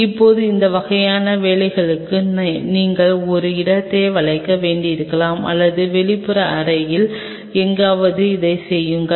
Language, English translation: Tamil, Now for these kinds of work you may needed to curve out a space either you do it somewhere out here in the outer room where